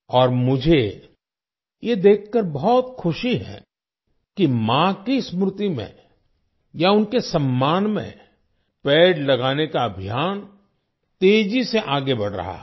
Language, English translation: Hindi, And I am immensely happy to see that the campaign to plant trees in memory of the mother or in her honor is progressing rapidly